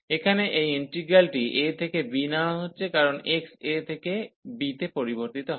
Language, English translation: Bengali, So, taking this integral here from a to b, because x varies from a to b